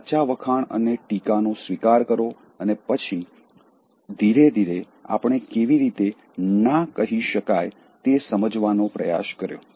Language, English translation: Gujarati, Accept genuine praise and criticism and then slowly we try to understand how you can say no